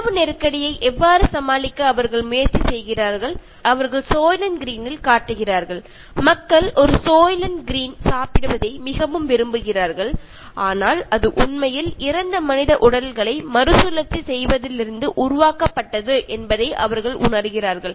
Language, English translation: Tamil, And how do they try to deal with the food crisis, and they show in Soylent Green, people are so fond of eating one Soylent Green, but they realize that it is actually made out of recycling dead human bodies